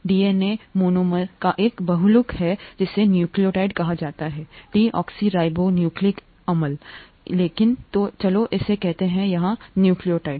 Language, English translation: Hindi, DNA is a polymer of the monomer called a nucleotide; deoxynucleotide; but let’s call it nucleotide here